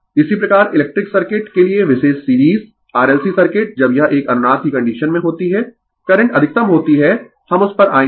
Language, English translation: Hindi, Similarly, for electrical circuit particular series RLC circuit when it is a resonance condition the current is maximum right, we will come to that